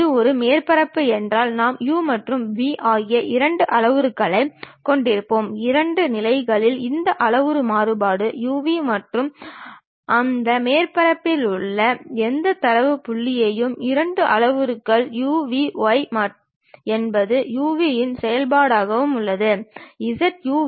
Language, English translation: Tamil, If it is a surface we will be having two parameters u and v; maybe in two directions we will have this parametric variation u, v and any data point on that surface represented by two parameters u, v; y is also as a function of u, v; z also as a function of u, v